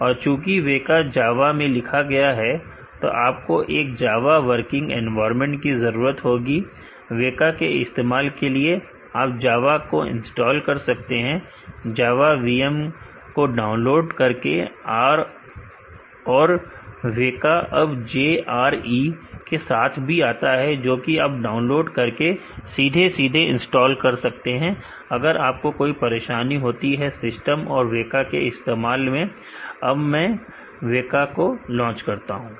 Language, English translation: Hindi, And, since WEKA is written in java you need a working java environment to use WEKA, you can install java by downloading the java VM are WEKA also comes with JRE, which you can download and directly install, it in case you face any problem using WEKA check your java and were not first, I have already used installed java in my system and WEKA, let me launch WEKA